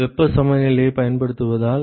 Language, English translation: Tamil, Using the heat balance